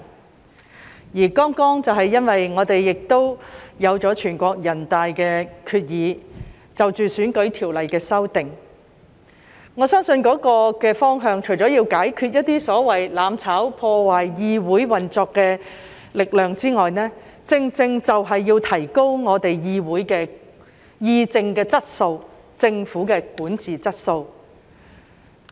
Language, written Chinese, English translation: Cantonese, 我們亦剛剛有了全國人大的決議，是關於選舉條例的修訂，我相信，這個方向除了要解決一些所謂"攬炒"、破壞議會運作的力量之外，正正就是要提高議會的議政質素，以及政府的管治質素。, We have also got the decision of the National Peoples Congress earlier on which is related to the amendment of the electoral legislations . I believe that apart from tackling some forces seeking the so - called mutual destruction and obstruction to the operation of the legislature our direction is precisely to enhance the quality of discussion on politics in the legislature and the quality of governance of the Government